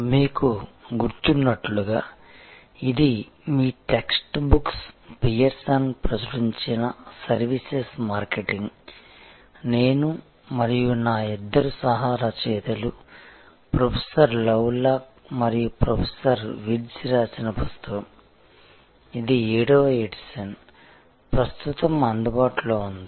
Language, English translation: Telugu, As you remember, this is your text book, Services Marketing published by Pearson, written by me and two of my co authors, Professor Lovelock and Professor Wirtz we have been referring to the 7th edition, which is currently available